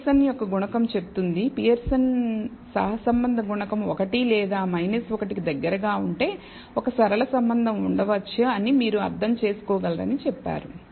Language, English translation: Telugu, So, the Pearson’s coefficient said if the coefficient, Persons correlation coefficient, was close to 1 or minus 1, you said that there is you could interpret that there may exist a linear relationship